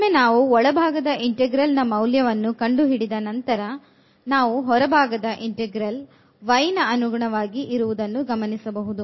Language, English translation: Kannada, So, then once having done the evaluation of the inner integral we will go to the outer one now with respect to y